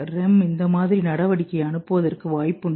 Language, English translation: Tamil, Because REM may be sending the activity like this